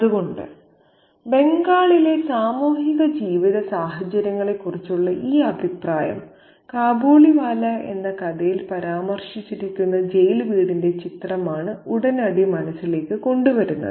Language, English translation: Malayalam, So, this comment about the social conditions of life in Bengal immediately brings to mind the image of the jailhouse that is referred to in the story, Kabaliwala